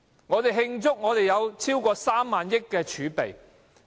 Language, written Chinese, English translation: Cantonese, 我們慶祝有近萬億元的儲備？, What about our nearing trillion - dollar fiscal reserves?